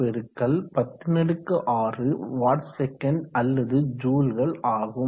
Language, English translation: Tamil, 6x106 watt sec or joules